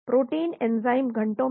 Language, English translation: Hindi, Proteins, enzymes hours